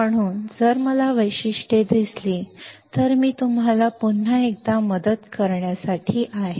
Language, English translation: Marathi, So, if I see the characteristics, it is just to help you out once again